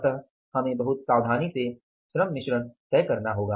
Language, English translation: Hindi, So, we will have to be very carefully decide the labour mix